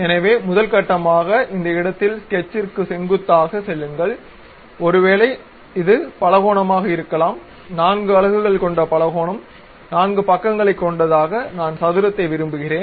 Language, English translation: Tamil, So, first construct a normal to that at this location go to Sketch, maybe this is the Polygon; a polygon of 4 units I would like four sides I would like to have square